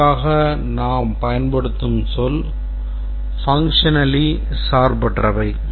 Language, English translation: Tamil, And the term that we use is functionally independent